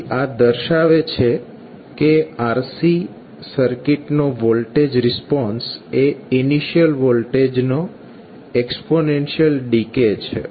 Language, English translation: Gujarati, So this shows that the voltage response of RC circuit is exponential decay of initial voltage